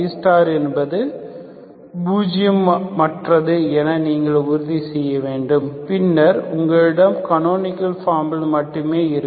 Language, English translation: Tamil, So you have to make sure that B star is nonzero, then only you have in the canonical form